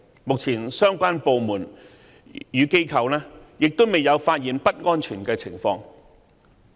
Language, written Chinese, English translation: Cantonese, 目前，相關部門與機構未有發現不安全的情況。, At present the relevant departments and companies have not detected any unsafe condition